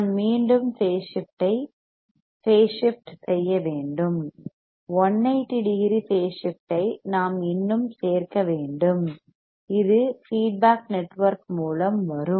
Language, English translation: Tamil, I have to again change phase so, that 180 degree phase shift one more we have to add which will come through the feedback network